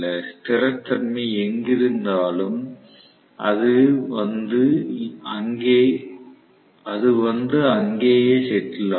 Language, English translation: Tamil, So, wherever, the stability is, it will come and settle there